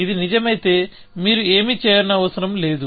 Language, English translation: Telugu, If it is true, then you do not have to do anything